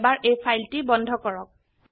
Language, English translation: Assamese, Now lets close this file